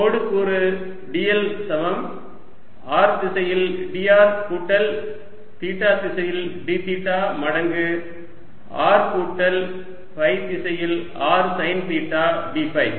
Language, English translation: Tamil, i get line element d: l is equal to d r in r direction, plus d theta times r in theta direction, plus r sine theta d phi in phi direction